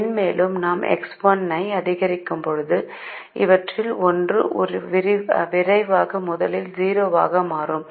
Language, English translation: Tamil, so as we keep increasing x one, when x one reaches six, x four become zero first